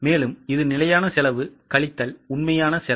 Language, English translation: Tamil, So, it is standard cost minus actual cost